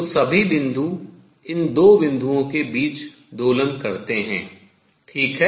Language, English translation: Hindi, So, all the points oscillate between these 2 points; all right